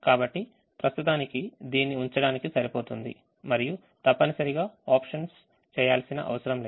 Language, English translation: Telugu, so at the moment it is enough to keep this and not necessarily do the options